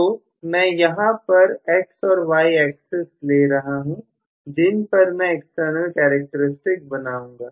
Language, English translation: Hindi, So, let me probably take neither x and y axis, where I am going to draw the external characteristics